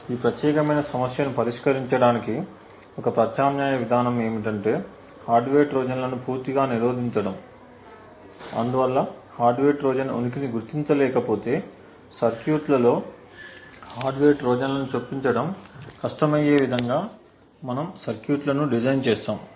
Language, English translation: Telugu, An alternate approach to solve this particular problem is to prevent hardware Trojans altogether so essentially if we cannot detect the presence of a hardware Trojan we will design circuits in such a way so that insertion of hardware Trojans in the circuits become difficult